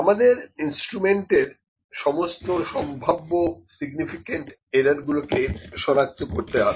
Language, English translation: Bengali, We need to identify all the potential significant errors for the instruments